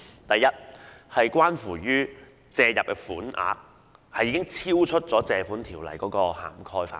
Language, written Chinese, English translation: Cantonese, 第一，借入的款額已超出《條例》的涵蓋範圍。, First the sums to be borrowed are beyond the scope of the Ordinance